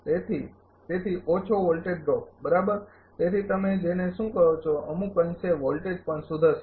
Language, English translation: Gujarati, Therefore, less voltage drop right therefore, what you call to some extent voltage will also improve